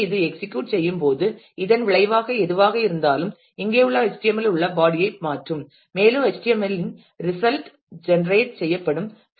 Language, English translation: Tamil, So, when this is executed then whatever is a result will replace the body in the HTML here and the result in the HTML will get generated